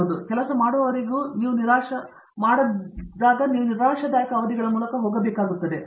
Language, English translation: Kannada, But, until that one works out you have to go through periods of disappointment